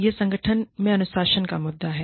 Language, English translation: Hindi, That is the issue of, Discipline in Organization